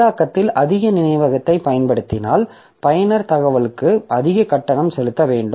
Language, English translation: Tamil, So if a process uses more memory it will be have, it has the user has to pay more for the information